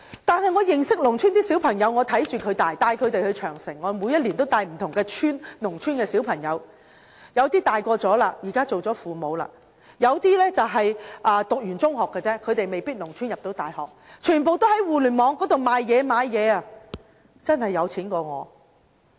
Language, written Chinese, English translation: Cantonese, 但是，我認識農村的小朋友，我看着他們長大，我帶他們到萬里長城，每年都會帶不同農村的小朋友去，他們有些長大了，現在當了父母；有些只是中學畢業，他們未必能從農村入讀大學，但他們全部都會在互聯網進行買賣，真的比我更有錢。, I know some children from rural communities watching them grown up and I visit the Great Wall with children from different villages each year . Now some of them have become parents while some are secondary school graduates without being admitted to universities . However all of them have started their own trade online with tiny capital and are even wealthier than me